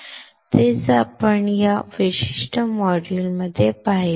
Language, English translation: Marathi, That is what we have seen in this particular module right